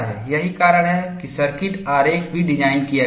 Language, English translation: Hindi, That is how, even the circuit diagram is designed